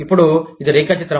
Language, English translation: Telugu, Now, this is the diagram